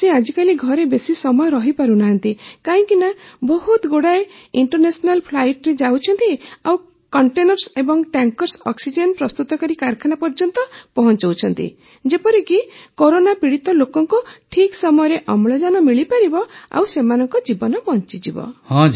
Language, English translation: Odia, Now a days he is not able to stay home much as he is going on so many international flights and delivering containers and tankers to production plants so that the people suffering from corona can get oxygen timely and their lives can be saved